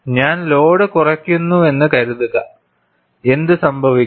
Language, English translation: Malayalam, Suppose, I reduce the load, what happens